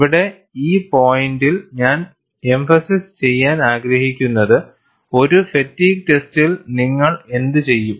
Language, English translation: Malayalam, And the point I would like to emphasize here is, what do you do in a fatigue test